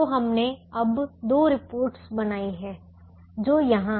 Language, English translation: Hindi, so we have now created two reports which are here